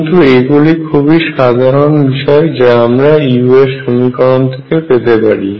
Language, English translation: Bengali, But this is general thing that you can find out from a u equation